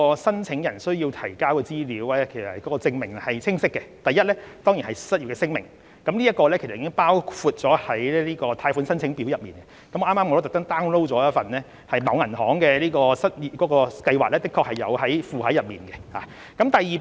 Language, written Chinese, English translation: Cantonese, 申請人需要提交的資料和證明是清晰的：第一，當然是失業聲明，這已包括在貸款申請表內，剛才我也特意 download 了某銀行的失業貸款計劃申請表，當中的確附有相關聲明。, The information and proof required to be submitted by the applicants are clear . Firstly it is certainly the statement of unemployment which has been included in the application form . I have deliberately downloaded a banks application form for an unemployment loan scheme and the statement is actually attached to it